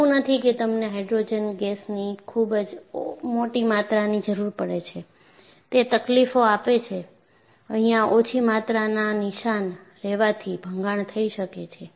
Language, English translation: Gujarati, It is not that you require a very high volume of hydrogen gas to go and give your problem, small quantities traces here and there, can cause embrittlement